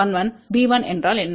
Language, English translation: Tamil, What is b 1